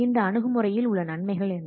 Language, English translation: Tamil, Now let's see what are the advantages of this approach